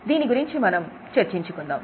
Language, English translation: Telugu, So, we will discuss about the same